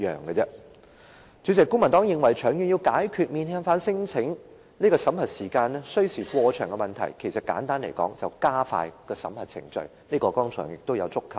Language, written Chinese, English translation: Cantonese, 主席，簡單來說，公民黨認為要長遠解決免遣返聲請審核程序需時過長的問題，便是加快審核程序，這問題剛才也有觸及。, President in brief the Civic Party thinks that the long - term solution to the problem of prolonged screening time for non - refoulement applications is to expedite the screening process which was touched upon earlier